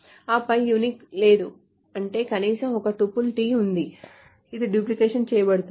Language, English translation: Telugu, And then there is not unique, meaning there is at least one tuple T which is duplicated